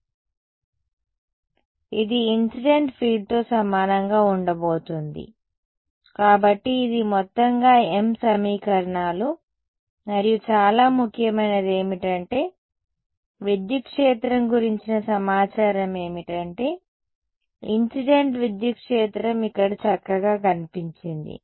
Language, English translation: Telugu, So, this is m equations in total and most importantly what has happened is the information about the electric field the incident electric field has nicely appeared over here